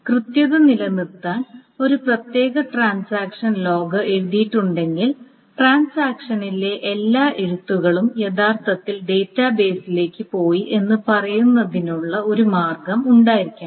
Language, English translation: Malayalam, But to maintain the correctness, there is to be a way of saying that if the log is written for a particular transaction, all the rights in the transaction have actually gone to the database